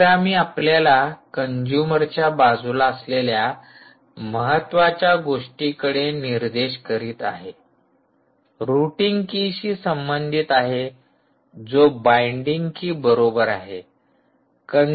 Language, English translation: Marathi, abhirami points us to another important line in the, in this consumer side, which corresponds to the routing key, equal to the binding key